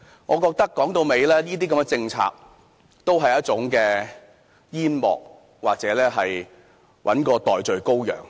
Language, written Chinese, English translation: Cantonese, 我認為這些政策都是一種煙幕，或是要找一個代罪羔羊。, In my opinion these policies only serve as a smokescreen or are looking for a scapegoat